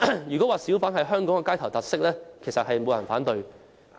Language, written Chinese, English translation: Cantonese, 如果說小販是香港的街頭特色，應該沒有人會反對。, No one will object if I describe hawkers as one of Hong Kongs street features